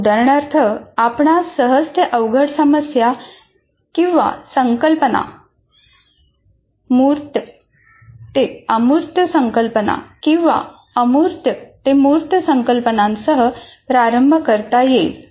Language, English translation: Marathi, For example, you may want to start with easy to difficult problems or easy to difficult concepts, concrete to abstract concepts or abstract to concrete concept